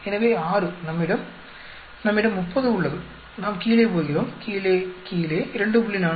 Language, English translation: Tamil, So, 6 we have we have 30 we go down down down 2